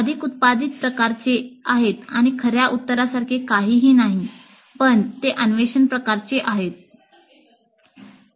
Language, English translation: Marathi, So they are more generative in nature and there is nothing like a true answer but they are exploratory in nature